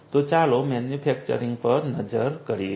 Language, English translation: Gujarati, So, let us look at manufacturing